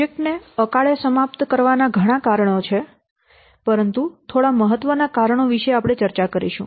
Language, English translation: Gujarati, Many reasons are there to prematurely terminating a project, but few important reasons we will discuss below